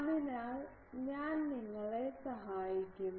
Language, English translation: Malayalam, So, I will help you